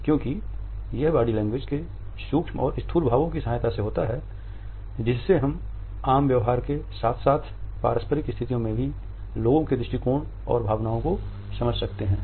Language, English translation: Hindi, Because it is with the help of the micro and macro expressions of body language that we can comprehend the attitudes and emotions of people in dietetic as well as in interpersonal situations